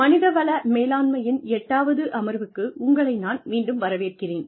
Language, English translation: Tamil, Welcome back, to the eighth session in, Human Resources Management